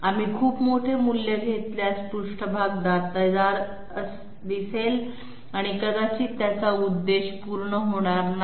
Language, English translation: Marathi, If we take a very large value, the surface will appear jagged and might not serve its purpose